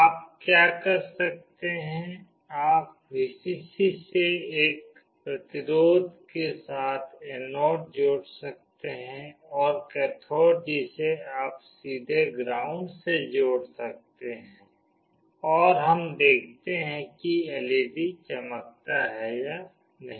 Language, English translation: Hindi, What you can do, the anode with a resistance you can connect to Vcc and the cathode you can directly connect to ground, and we see whether the LED glows or not